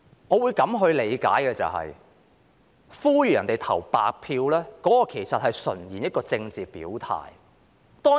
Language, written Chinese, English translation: Cantonese, 我會這樣理解，呼籲別人投白票純粹是一種政治表態。, I would interpret it as follows . Calling on another person to cast a blank vote is purely expression of political stance